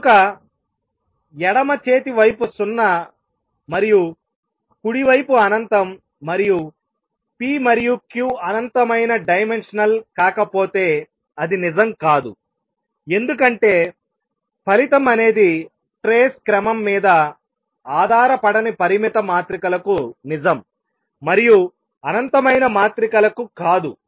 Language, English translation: Telugu, So, left hand side is 0 and right hand side is infinity and that cannot be true unless p and q are infinite dimensional because the result that the trace does not depend on the order is true for finite matrices and not for infinite matrices